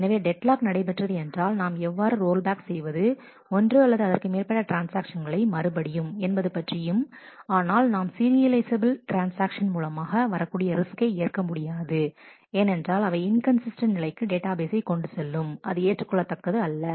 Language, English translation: Tamil, So, if deadlock happens we will have to roll back one or more transactions and then restart again and, but we cannot take the risk of not having serializable transactions because, that might lead to inconsistent state of the database which is not acceptable